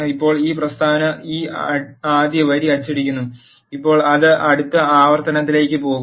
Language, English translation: Malayalam, Now this statement prints this first line, now it will go to the next iteration